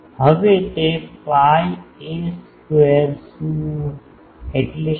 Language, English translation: Gujarati, Now, what is it pi a square means what